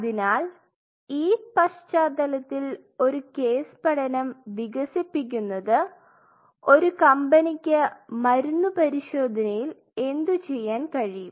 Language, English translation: Malayalam, So, with this background we were kind of you know developing a case study that, what a company can do in terms of testing the drugs